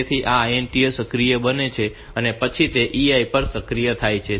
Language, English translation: Gujarati, So, this becomes INTA becomes active and then EI also gets active